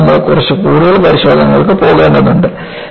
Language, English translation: Malayalam, So, you need to go for little more tests